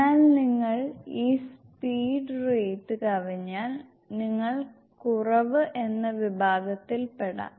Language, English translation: Malayalam, But if you exceed this speed rate, then you may lie in the category of deficiency